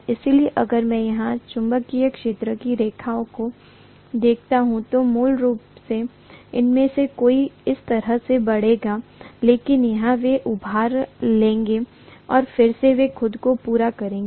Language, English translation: Hindi, So if I look at the magnetic field lines here, basically many of them will flow like this, but here they will bulge and then again they will complete themselves (())(11:25)